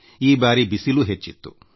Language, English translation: Kannada, It has been extremely hot this year